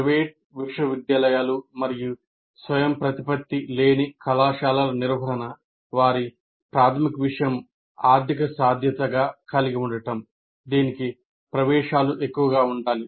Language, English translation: Telugu, Now, management of private universities and non autonomous colleges have their primary concern as a financial viability which requires admission should be high